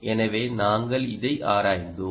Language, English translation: Tamil, so we were investigating this